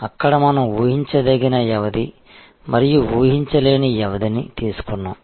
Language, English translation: Telugu, There we have taken predictable duration and unpredictable duration